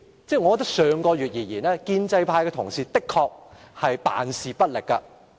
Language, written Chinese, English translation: Cantonese, 就上月而言，建制派同事的確是辦事不力。, The pro - establishment colleagues were indeed incompetent last month